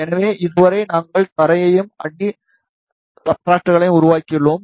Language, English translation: Tamil, So, so far we have made the ground and the substrates